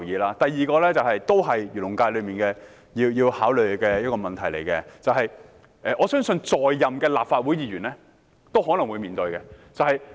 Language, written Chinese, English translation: Cantonese, 另一點也是關於漁農界的一個問題，我相信其他在任的立法會議員也可能會面對。, There is another point which also concerns a problem in the Agriculture and Fisheries FC which I think is also faced by other incumbent Members of the Legislative Council